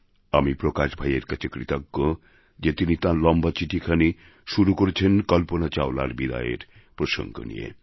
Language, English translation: Bengali, I am thankful to Bhai Prakash ji for beginning his long letter with the sad departure of Kalpana Chawla